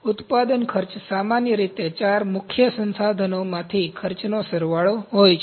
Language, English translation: Gujarati, Manufacturing costs are generally the sum of the cost from four prime resources